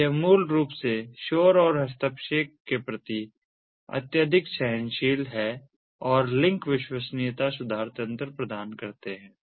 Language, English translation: Hindi, so these basically is highly tolerant of the noise and interference and offers link reliability improvement mechanisms